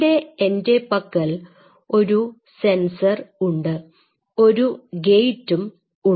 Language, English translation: Malayalam, And here I have a sensor and here I have a gate